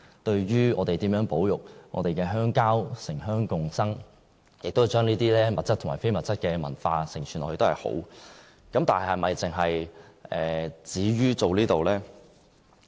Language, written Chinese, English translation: Cantonese, 對於我們如何保育我們的鄉郊，城鄉共生，並且將這些物質和非物質的文化承傳下去，是一件好事。, It is also desirable to conserve our countryside for urban - rural symbiosis and to pass on these tangible and intangible cultural heritage from generation to generation